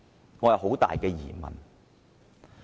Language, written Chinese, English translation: Cantonese, 我心存很大的疑問。, I have serious doubts about this